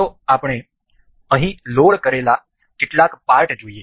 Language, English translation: Gujarati, Let us see some of the parts I have loaded here